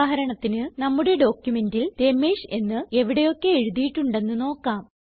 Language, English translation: Malayalam, For example we have to search for all the places where Ramesh is written in our document